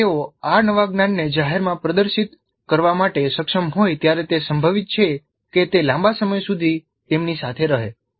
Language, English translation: Gujarati, When they are able to publicly demonstrate this new knowledge in its application, it is likely that it stays with them for much longer periods